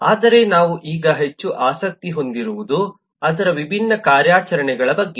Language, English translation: Kannada, but what we have more interested now is a fact that it has different operations